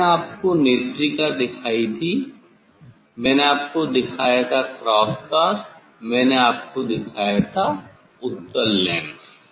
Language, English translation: Hindi, And I showed you eye piece, I showed you cross wire I showed you convex lens